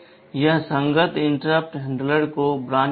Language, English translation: Hindi, It will branch to the corresponding interrupt handler